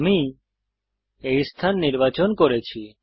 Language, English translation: Bengali, I have selected this location